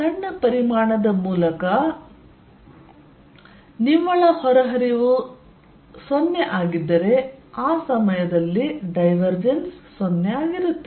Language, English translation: Kannada, If net flow in flow in a through a small volume is 0 and at that point divergence is going to be 0